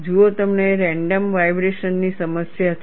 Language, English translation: Gujarati, See, you have random vibration problem